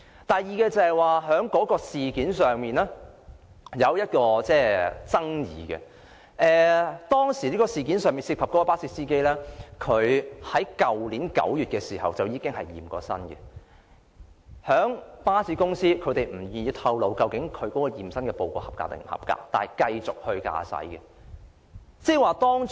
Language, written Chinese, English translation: Cantonese, 第二，該宗事件引起爭議的一點，是事件涉及的巴士司機在去年9月曾經檢驗身體，而巴士公司卻不願意透露其驗身報告是否合格，但仍讓他繼續駕駛。, Secondly the accident has aroused a point of contention because the bus driver in question took a physical examination in September last year . But the bus company unwilling to disclose whether the driver passed the physical examination let him perform his driving duties all the same